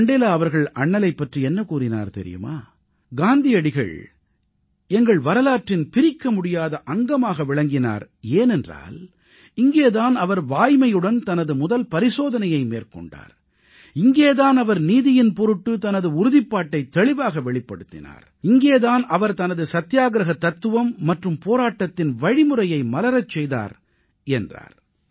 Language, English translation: Tamil, Mandela said this about Bapu "Mahatma is an integral part of our history, because it was here that he used his first experiment with truth; It was here, That he had displayed a great deal of determination for justice; It was here, he developed the philosophy of his satyagraha and his methods of struggle